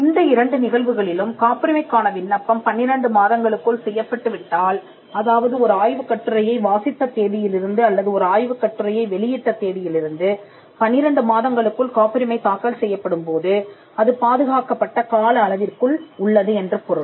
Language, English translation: Tamil, In these two cases if the application for the patent is made in not later than twelve months, that is from the date of disclosure by way of reading a paper or publishing a paper within twelve months if a patent application is filed then it would be within the protected period